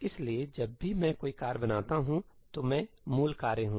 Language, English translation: Hindi, So, whenever I create a task, I am the parent task